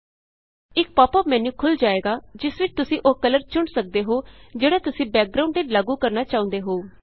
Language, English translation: Punjabi, A pop up menu opens up where you can select the color you want to apply as a background